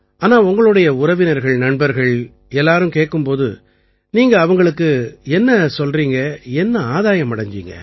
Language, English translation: Tamil, But when all your relatives and acquaintances ask you, what do you tell them, what have the benefits been